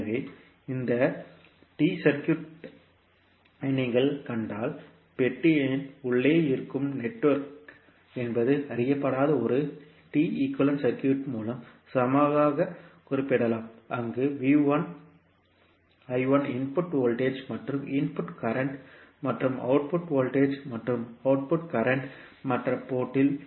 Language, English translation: Tamil, So, if you see this particular T circuit, so the unknown that is basically the network which is there inside the box can be equivalently represented by a T equivalent circuit where VI I1 are the input voltage and input currents and V2 I2 are the output voltage and output current at the other port